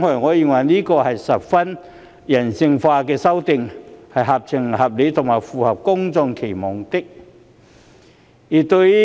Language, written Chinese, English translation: Cantonese, 我認為，這是十分人性化的修訂，合情合理和符合公眾期望。, I consider it a rather humane amendment exercise which is reasonable and in line with public expectation